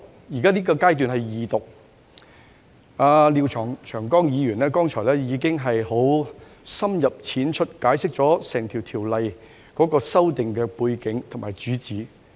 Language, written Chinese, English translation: Cantonese, 現在是二讀階段，而廖長江議員剛才亦已經深入淺出地解釋《條例草案》的背景和主旨。, We are now at the Second Reading stage . Earlier on Mr Martin LIAO already gave a thorough explanation on the background and main theme of the Bill in simple language